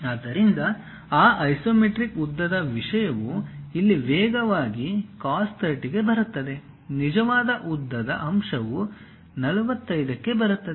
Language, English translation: Kannada, So, that isometric length thing comes faster cos 30 here; the true length factor comes at 45